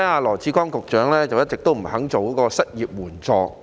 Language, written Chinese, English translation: Cantonese, 羅致光局長一直不肯推出失業援助金。, Secretary Dr LAW Chi - kwong has all along refused to introduce unemployment assistance